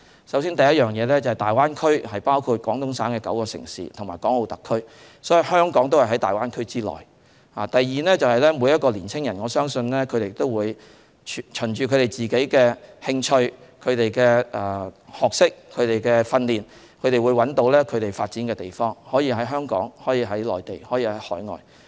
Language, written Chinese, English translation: Cantonese, 首先，大灣區包括廣東省9個城市和港澳特區，所以香港亦是在大灣區內；第二，我相信每個年青人都會循自己的興趣、學識和訓練，找到他們可以發展的地方，這可以是香港，可以是內地，可以是海外。, First of all the Greater Bay Area is made up of nine cities in Guangdong Province as well as Hong Kong and Macao SARs and so Hong Kong is also inside the Greater Bay Area . Secondly I believe every young person will find his place of development which can be Hong Kong the Mainland or overseas according to his own interests knowledge and training